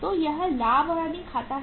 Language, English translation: Hindi, So this is the profit and loss account